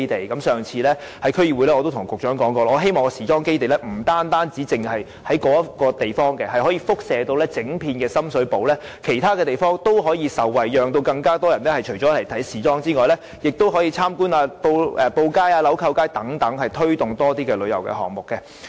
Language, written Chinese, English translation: Cantonese, 在上次區議會會議時，我已經告訴局長，我希望時裝基地不僅局限於該地點，而可產生輻射效應，以至整個深水埗其他地點也可受惠，使遊人不僅前往時裝基地，亦會參觀布街、鈕扣街等，推動更多旅遊項目。, At the last meeting of the District Council I told the Secretary my wish that the design and fashion hub would not be confined to the specified site but should bring about a radiation effect so that other locations in Shum Shui Po would also benefit . In this way visitors would not merely visit the design and fashion hub but also the cloth street and the button street thereby facilitating the development of more tourist options